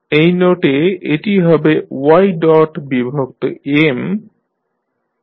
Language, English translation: Bengali, So, at this note will be y dot by M